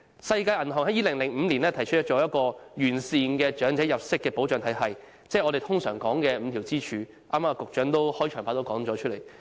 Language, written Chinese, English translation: Cantonese, 世界銀行在2005年提出一個完善的長者入息保障體系，即我們經常說的5根支柱，局長在剛才的開場白也曾提及。, In 2005 the World Bank proposed a comprehensive income protection regime for the elderly that is the five - pillar model we often mentioned and the Secretary also mentioned that in his beginning speech